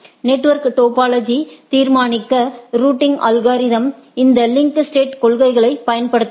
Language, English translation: Tamil, The routing algorithms use this principle of link state to determine the network topology